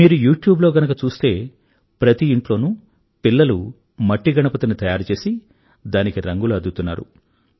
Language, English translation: Telugu, If you go on YouTube, you will see that children in every home are making earthen Ganesh idols and are colouring them